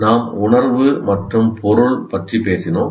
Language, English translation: Tamil, We have talked about sense and meaning